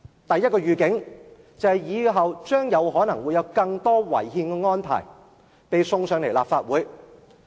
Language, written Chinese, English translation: Cantonese, 第一個預警，就是以後可能有更多違憲的安排被呈上立法會。, The first heads - up more unconstitutional arrangements would be tabled to the Legislative Council in the future